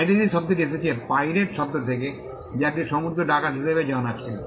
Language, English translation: Bengali, Now piracy comes from the word pirate which stood for a sea robber